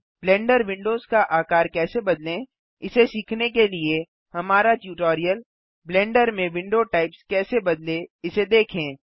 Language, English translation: Hindi, To learn how to resize the Blender windows see our tutorial How to Change Window Types in Blender Go to the top row of the Properties window